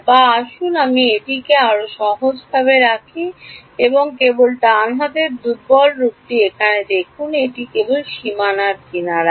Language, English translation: Bengali, Or let us actually keep it simpler let us just look at here the weak form of right hand side here this is only over the edges on the boundary